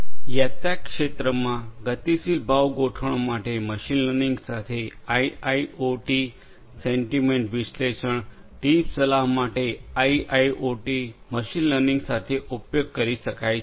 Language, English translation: Gujarati, In the travel sector also IIoT with machine learning for dynamic price setup, for sentiment analysis to act as trip advisor IIoT with machine learning combined can be used